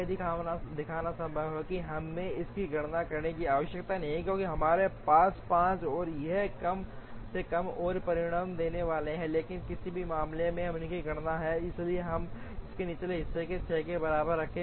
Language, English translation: Hindi, It is actually possible to show that we need not calculate this, because we have a 5 and this is going to result in at least one more, but in any case we have calculated this, so we keep this lower bound equal to 6